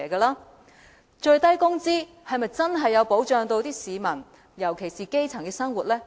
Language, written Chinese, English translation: Cantonese, 那最低工資是否真的保障了市民，尤其是基層的生活呢？, Has the implementation of minimum wage protected the living of the public particularly that of the grass roots?